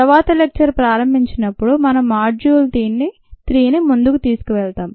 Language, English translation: Telugu, when we begin the next lecture we will take module three forward